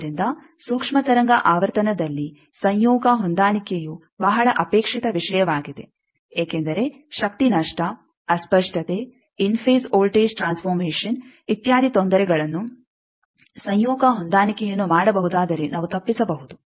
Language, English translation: Kannada, So, that is why the conjugate match is a very desired thing at microwave frequency because lot of difficulties that power lost, distortion in phase transformation etcetera can be avoided if we can do conjugate matching